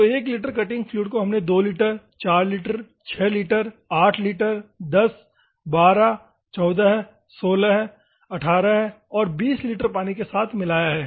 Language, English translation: Hindi, So, one litre of cutting fluid we have mixed with 2 litre, 4 litre, 6 litre, 8 litre, 10, 12, 14, 16, 18 and 20